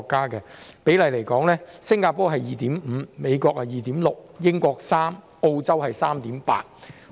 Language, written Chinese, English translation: Cantonese, 以人均醫生比例來說，新加坡是 2.5 名，美國是 2.6 名，英國是3名，澳洲是 3.8 名。, For instance the per capita doctor ratio is 2.5 in Singapore; 2.6 in the United States; 3.0 in the United Kingdom; and 3.8 in Australia